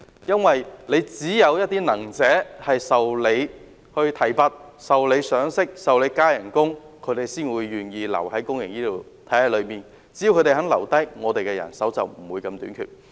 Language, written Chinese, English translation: Cantonese, 因為只有能者受到提拔，受到賞識，薪酬增加，他們才願意留在公營醫療體系裏，而只要他們肯留下來，公營醫療的人手便不致這麼短缺。, Only when capable staff are promoted appreciated and paid better will they be keen to stay in the public health care system . And as long as they are willing to stay the public health care sector will not face manpower shortage